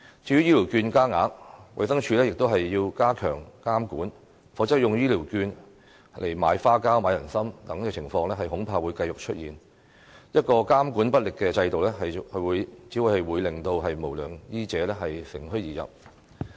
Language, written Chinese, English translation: Cantonese, 至於醫療券加額，衞生署亦要加強監管，否則使用醫療券來買花膠、人參等情況恐怕會繼續出現，一個監管不力的制度，只會令無良醫者乘虛而入。, As for the increase in the value of health care vouchers the Department of Health should step up its oversight or else the cases of using health care vouchers to buy fish maw and ginseng will probably continue to emerge . A faulty regulatory system will only be taken advantage of by unscrupulous medical practitioners